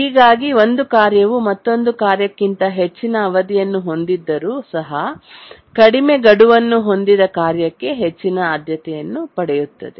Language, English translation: Kannada, So even if a task has higher period than another task but it has a lower deadline then that gets higher priority